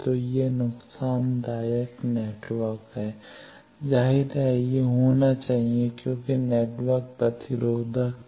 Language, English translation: Hindi, So, it is a lossy network as; obviously, it should be because the network was very resistive